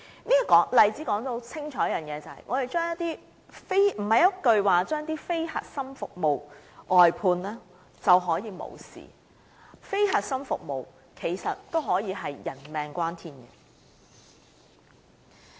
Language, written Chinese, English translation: Cantonese, 這個例子正好清楚說明，不是一句"將非核心服務外判"便可了事，非核心服務也可以是性命攸關的。, This example clearly demonstrates that HA cannot get away with the excuse of outsourcing non - core services as such services can be a matter of life and death